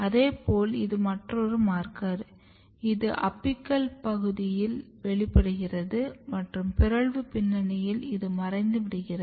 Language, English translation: Tamil, Similarly, this is a kind of another marker which is known to express in the apical region and in mutant background this is disappear